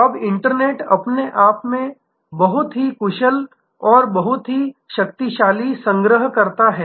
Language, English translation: Hindi, Now, the internet itself is a very efficient and very powerful aggregator